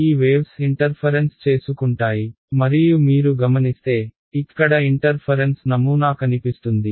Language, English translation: Telugu, These waves interfere right and you observe, interference pattern appears over here ok